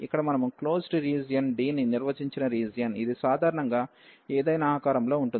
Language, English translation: Telugu, So, this is the region here we have define a closed region D, it can be of any shape in general